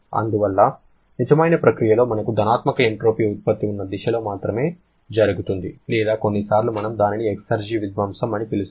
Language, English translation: Telugu, So, real process can proceed only in the direction in which you will be having a positive entropy generation or exergy destruction